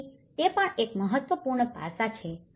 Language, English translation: Gujarati, So, that is also one of the important aspects